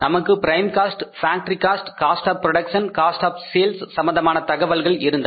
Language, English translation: Tamil, We had the information with regard to the prime cost, factory cost, cost of production and cost of sales